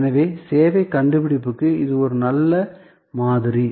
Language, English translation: Tamil, So, this is a good model for service innovation